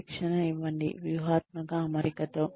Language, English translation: Telugu, Give training, a strategic alignment